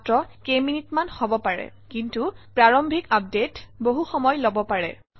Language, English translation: Assamese, Maybe a couple of minutes but the initial update could take a lot of time